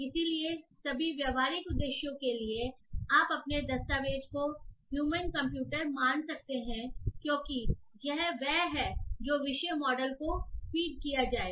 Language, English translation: Hindi, So, for all practical purposes, you can assume the your document to be human computer as this is what it is going to be fed to the topic model